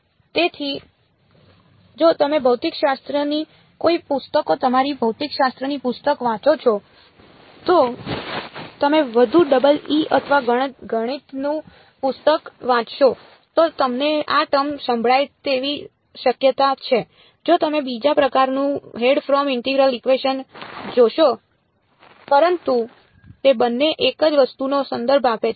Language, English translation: Gujarati, So, if you read a physics books you physics book you are likely to hear this word for it if you read a more double E or math book you will find Fredholm integral equation of second kind, but they both refer to the same object ok